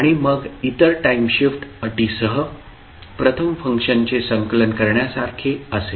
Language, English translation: Marathi, And then others will be like compilation of the first function with time shift conditions